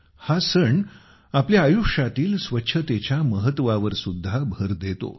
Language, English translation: Marathi, The festival of Chhath also emphasizes on the importance of cleanliness in our lives